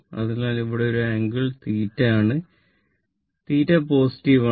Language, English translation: Malayalam, So, here an angle is theta, and theta is positive